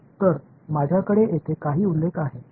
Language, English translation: Marathi, So, I have some graphs over here